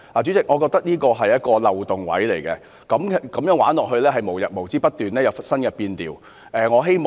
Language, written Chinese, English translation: Cantonese, 主席，我覺得這是一個漏洞，如果這樣繼續下去，便會無日無之不斷有新的變調。, President I think this is a loophole . If this situation continues new variations of the same thing will keep coming up